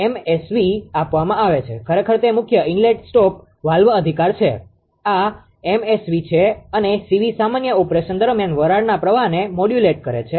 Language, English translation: Gujarati, MSV is given actually the main inlet stop valves right, this is a the MSV and CV is the modulate the steam flow during normal operation right